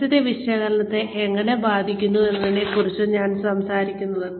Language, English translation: Malayalam, It just talks about, how the environment affects the analysis